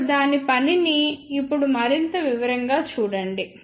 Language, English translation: Telugu, Now, see its working in more detail now